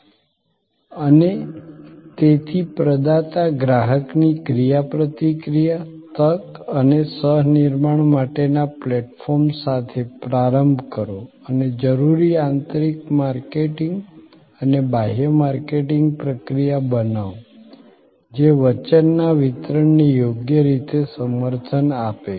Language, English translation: Gujarati, And therefore start with the provider customer interaction and opportunity and the platform for co creation and create necessary internal marketing and external marketing process that support ably that delivery of the promise